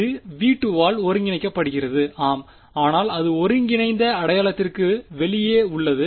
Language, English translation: Tamil, This is being integrated in v 2 yes, but its outside the integral sign right